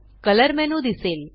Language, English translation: Marathi, A color menu appears